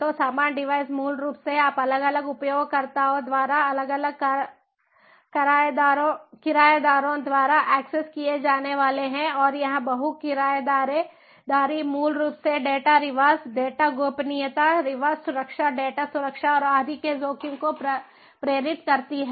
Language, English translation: Hindi, so the same devices are basically, you know, ah, ah, ah, accessed by different tenants, by different users, and that multi tenancy basically induces the risk of data leakage, the risk of data privacy leakage, security, data security and so on